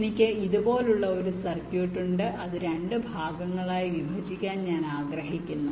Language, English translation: Malayalam, so i have a circuit like this which i want to partition into two parts